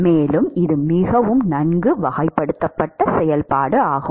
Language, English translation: Tamil, So, it is a fairly well characterized function